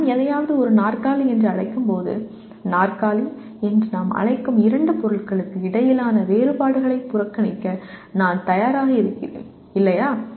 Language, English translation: Tamil, When I call something as a chair, I am willing to ignore the differences between two objects whom we are calling as chair, right